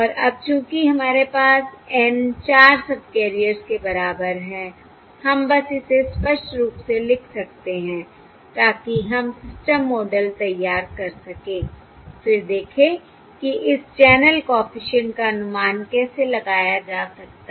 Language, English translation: Hindi, And now, since we have N equal to 4 subcarriers, we may simply expressively write it down so that we can formulate the [systel] model system model, then see how the estimation of this, of this channel coefficient, can be done, And that is indeed going to be very simple